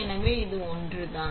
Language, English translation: Tamil, So, this is one thing